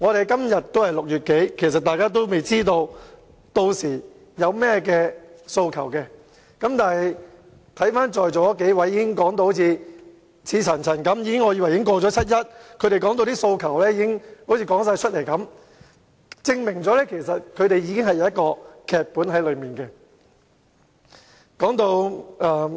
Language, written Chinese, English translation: Cantonese, 今天仍是6月尾，大家應該還未知道屆時市民有甚麼訴求，但在座已發言的數位議員剛才卻言之鑿鑿，令我還以為已經過了七一，所以他們能夠把訴求一一道出，這正好證明他們已經編好了劇本。, We are still in late June today and supposedly we should not know what the peoples aspirations are on 1 July . Yet some Members who have just spoken were talking about those aspirations so emphatically that I almost thought I July had past and hence they could recount the aspirations in detail . It just shows that they have already written the script for the 1 July march